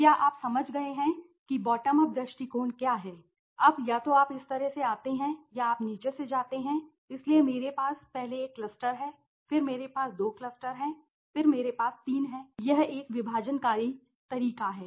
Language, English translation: Hindi, So, did you understand what it is a bottom up approach, now either you come this way or you go from the bottom so I have first one cluster then I have two cluster then I have three this is a divisive method okay